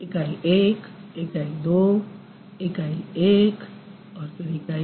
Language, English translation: Hindi, Unit 1, Unit 2